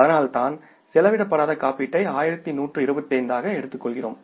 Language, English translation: Tamil, That is why we are taking the unexpired insurance as 112 and this is the current asset